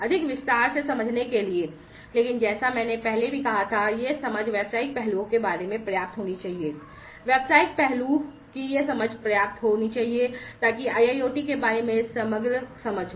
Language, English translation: Hindi, In order to understand in more detail, but as I said earlier as well that this understanding should be sufficient about the business aspects, these understanding of the business aspect should be sufficient, in order to have the holistic view of holistic understanding about IIoT